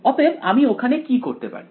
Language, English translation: Bengali, So, what can I do over here